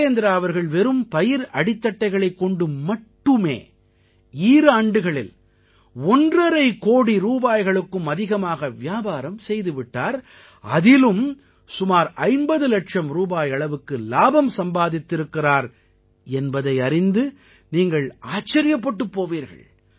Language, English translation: Tamil, You will be amazed to know that in just two years, Virendra ji has traded in stubble in excess of Rupees Two and a Half Crores and has earned a profit of approximately Rupees Fifty Lakhs